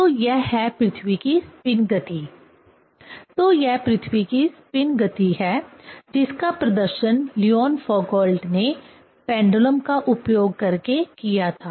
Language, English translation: Hindi, So, that is what the spinning motion of the earth; so that is spinning motion of the earth which was demonstrated by the Leon Foucault using the pendulum